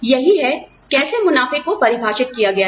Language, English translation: Hindi, That is, how profit is defined